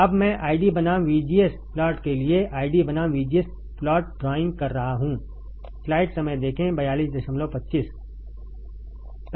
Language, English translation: Hindi, Now I am drawing ID versus VGS plot for drawing ID versus VGS plot